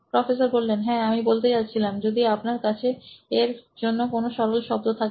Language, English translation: Bengali, Yeah I was going to say if you have a simpler word for that